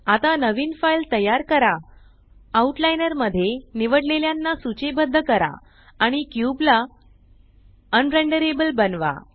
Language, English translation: Marathi, Now create a new file, list selected in the Outliner and make the cube un renderable